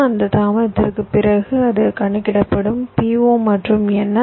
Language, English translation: Tamil, after that delay it will be computing p o and n